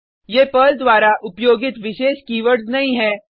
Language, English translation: Hindi, These are not the special keywords used by Perl